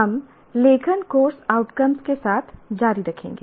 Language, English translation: Hindi, We continue with writing course outcomes